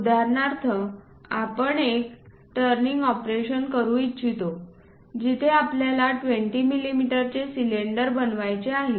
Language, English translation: Marathi, For example, I would like to make a turning operation where a cylinder of 20 mm I would like to make